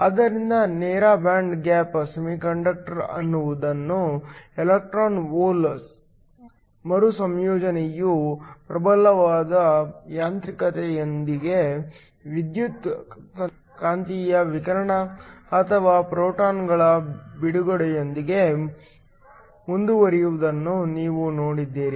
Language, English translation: Kannada, So, you have seen that the direct band gap semiconductor is one in which the electron hole recombination proceeds with the dominant mechanism being the release of electromagnetic radiation or photons